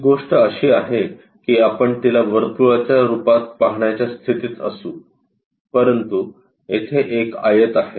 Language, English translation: Marathi, This is the thing, what we will be in a position to see that which comes as a circle, but here a rectangle